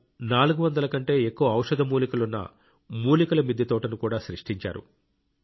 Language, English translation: Telugu, She has also created a herbal terrace garden which has more than 400 medicinal herbs